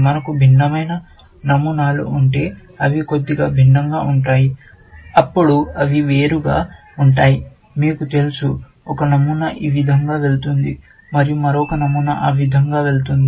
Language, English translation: Telugu, If we have different patterns, which are slightly different, then they will diverge, you know; one pattern will go this way, and another pattern will go that way